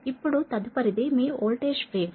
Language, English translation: Telugu, next, your next is that your voltage waves, right